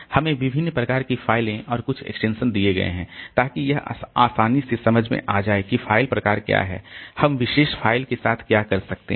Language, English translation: Hindi, There are different types of files and some extensions are given so that it is easily understandable like what is the type of the file and what can we do with the particular file